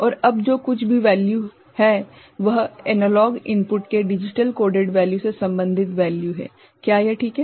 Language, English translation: Hindi, And now whatever is the value that is the value related to the digitally coded value of the analog input is it fine